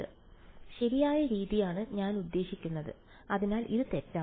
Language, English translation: Malayalam, So, the correct way it I mean the so this is wrong